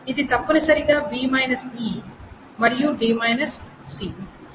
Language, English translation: Telugu, So it is essentially b e and d c